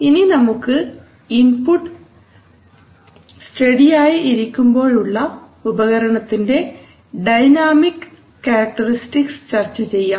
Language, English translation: Malayalam, But we have to talk about dynamic characteristic of the instrument when the input is not steady